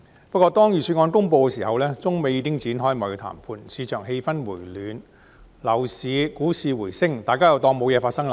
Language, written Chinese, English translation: Cantonese, 不過，當預算案公布時，中美已展開貿易談判，市場氣氛回暖，樓市股市回升，大家又當作無事發生。, However when the Budget was announced China and the United States had already started trade negotiations . Given improved market sentiment and upturns in the property market and stock market people again acted as if nothing had happened